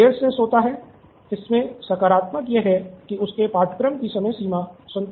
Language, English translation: Hindi, So, he goes to sleep late, the positive is that his course deadlines are satisfied